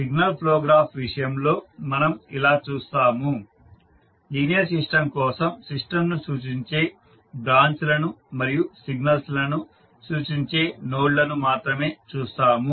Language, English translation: Telugu, In case of signal flow graph we will see, for the linear system we will see only branches which represent the system and the nodes which represent the signals